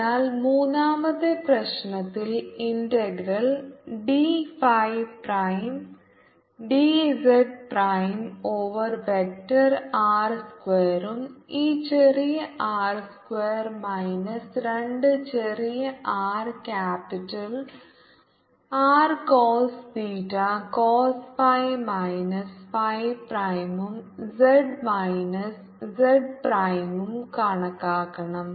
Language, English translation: Malayalam, so in problem three we have to calculate the integral d phi prime, d z prime over vector i square plus this small i square minus two small r capital r cost, theta cost phi minus phi prime plus z minus j prime, this pi r j minus z prime